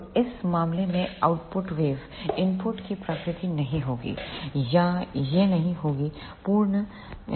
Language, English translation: Hindi, So, in this case the output waveform will not be the replica of input or it will not be a complete sinusoidal waveform